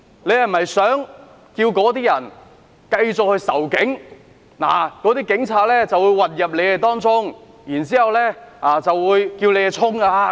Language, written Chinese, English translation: Cantonese, 他是否想鼓動那些人繼續仇警，告訴他們警察會混入他們當中，煽動他們向前衝。, Did he want to incite the publics hostility towards the Police telling them that police officers would mingle with the crowd to incite the public to charge forward?